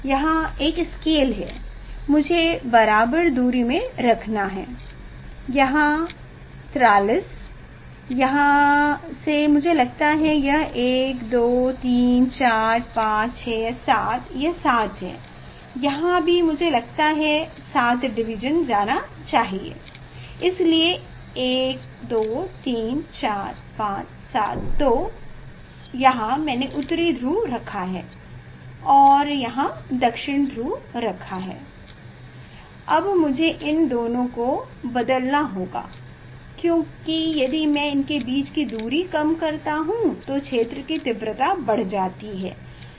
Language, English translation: Hindi, it is a 7, here also I think here I have to go for 7 division, so 1, 2, 3, 4, 5, 7, so here here I have kept North Pole and here I have kept South Pole, now I have to change this two if gap I decrease, so field strength will increase